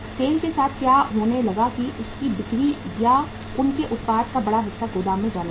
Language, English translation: Hindi, What started happening with the SAIL that major chunk of their sales or their production started going to the warehouse